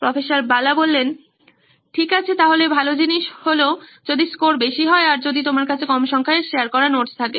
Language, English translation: Bengali, Okay, so good thing is, if high scores, if you have low number of notes shared